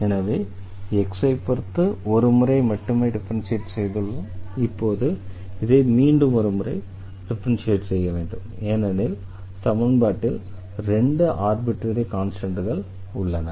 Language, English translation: Tamil, So, we have differentiated with respect to x only once and now we have to differentiate this once again because, we do see here to arbitrary constants in the equation